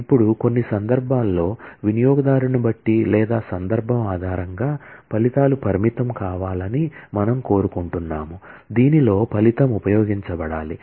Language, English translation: Telugu, Now, in some cases, we may want the results to be restrictive in terms of based on the user or based on the context, in which the result should be used